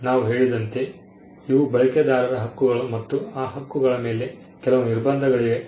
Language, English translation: Kannada, As we said these are rights of the user and there are certain restrictions on those rights